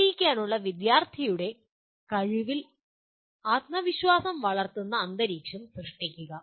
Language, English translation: Malayalam, And creating an atmosphere that promotes confidence in student’s ability to succeed